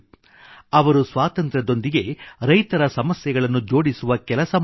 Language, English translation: Kannada, He endeavored to connect the issues of farmers with Independence